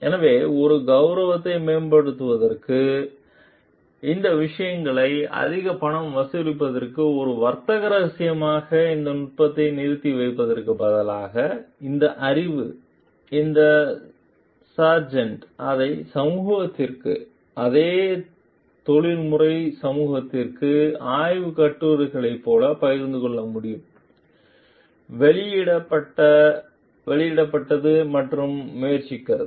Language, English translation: Tamil, So, instead of withholding this technique as a trade secret to enhance one prestige and maybe to charge more money for these things, this knowledge this sergeant could very well share it to the community to the same professional community through like research papers, published and trying